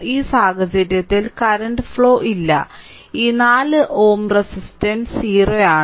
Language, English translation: Malayalam, In this case there is no current flowing through this 4 ohm resistance is 0